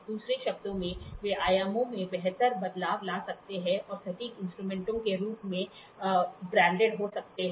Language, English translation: Hindi, In the other words, they can amplify finer variation in dimensions and can be branded as precision instruments